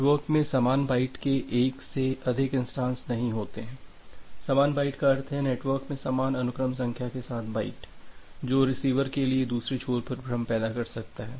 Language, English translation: Hindi, There are not more than one instances of the same byte in the network, same byte means the byte with the same sequence number in the network which can create confusion for the other end, for the receiver